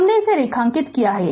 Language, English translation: Hindi, We have calculated